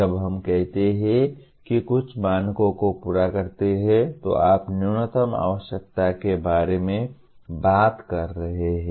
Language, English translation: Hindi, When we say fulfils certain standards, you are talking about minimum requirements